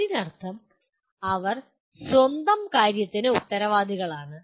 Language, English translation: Malayalam, That means they are responsible for their own thing